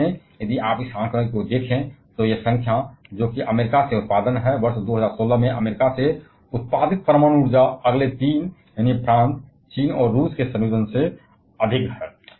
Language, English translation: Hindi, In fact, if you see this figure, this number that is production from US, nuclear energy produced from US in the year 2016 is more than combining the next three, that is France, China and Russia